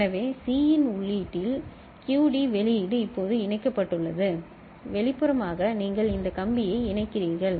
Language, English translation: Tamil, So, QD output is now connected as at the input of C externally you connect this wire ok